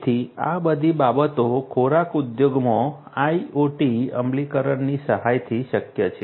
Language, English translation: Gujarati, So, all of these things are possible with the help IoT implementation in the food industry